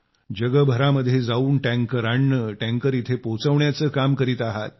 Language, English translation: Marathi, Going around the world to bring tankers, delivering tankers here